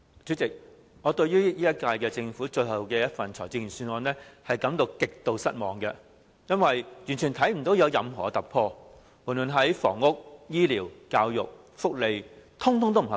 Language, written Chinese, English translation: Cantonese, 主席，我對本屆政府最後一份財政預算案感到極度失望，因為完全看不到有任何突破，無論在房屋、醫療、教育或福利等方面，全都不合格。, President I am utterly disappointed with the final Budget of the current - term Government . There are no breakthroughs and its treatment of housing health care education social welfare and so on does not deserve a passing grade